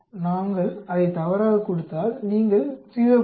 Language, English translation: Tamil, If we give it as false you get 0